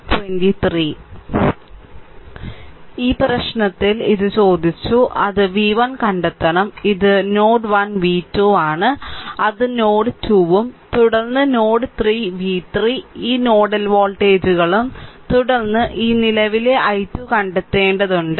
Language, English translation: Malayalam, In this in this problem it has been asked, that ah just hold on it has been asked that you have to find out v 1 this is node 1 v 2 that is node 2 and then node 3 v 3 this 3 nodal voltages and then you have to find out this current i 2 right